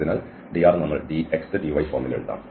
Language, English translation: Malayalam, So, dr we will write in this dx, dy form